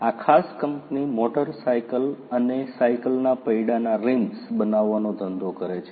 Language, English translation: Gujarati, This particular company it is in the business of making the rims of wheels of motor cycles and bicycles